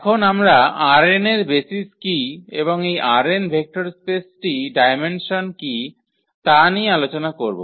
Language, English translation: Bengali, Now, we will talk about what are the basis of R n and what is the dimension of this vector space R n